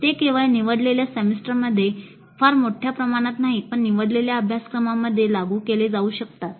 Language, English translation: Marathi, They can be implemented only in selected semesters in selected courses, not on a very large scale